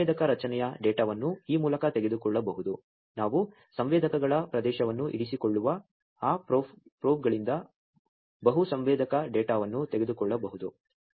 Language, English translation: Kannada, And there is a sensor array data can be taken through this we can take multiple sensor data from those probes that are there we will keep an area of sensors